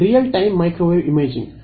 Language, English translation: Kannada, Real time microwave imaging